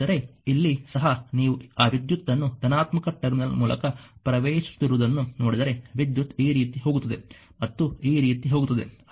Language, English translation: Kannada, But here also if you look into that current is entering through the positive terminal because current goes like this goes like this and goes like this right